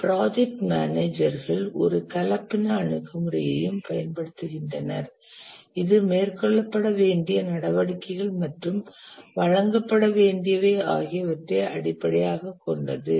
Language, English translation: Tamil, Project managers also use a hybrid approach which has both based on the activities that need to be carried out and also the deliverables that are to be given